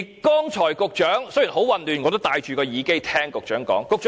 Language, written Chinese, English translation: Cantonese, 剛才雖然很混亂，但我也戴着耳機聽局長發言。, Although the situation is chaotic just now I have put on my headset to listen to the Secretarys speech